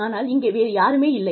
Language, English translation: Tamil, But, there is nobody here